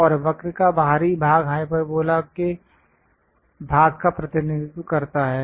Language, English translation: Hindi, And the exterior of the curve represents part of the hyperbola